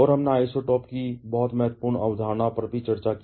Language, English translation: Hindi, And we also discussed the very important concept of isotopes